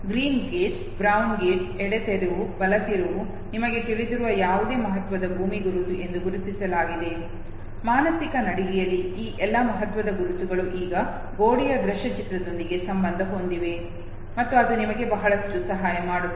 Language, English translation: Kannada, Green Gate, brown gate the left turn, the right turn whatever significant land marks that you have know identified okay, all those significant land marks on the mental walk through is now associated with the visual image of the wall, and that would help you a lot